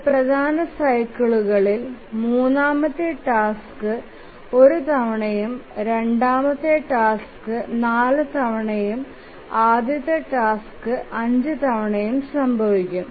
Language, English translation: Malayalam, So, in one major cycle, the third task will occur once, the second task will occur four times and the first task will occur five times